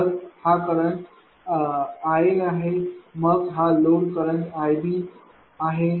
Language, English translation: Marathi, So, this current is i A then this load current is i B this is i c